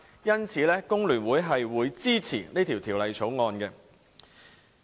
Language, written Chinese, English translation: Cantonese, 因此，工聯會支持《條例草案》。, Therefore The Hong Kong Federation of Trade Unions FTU supports the Bill